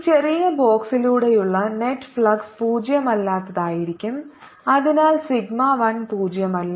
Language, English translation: Malayalam, the net flux this is small box is going to be non zero and therefore sigma one is non zero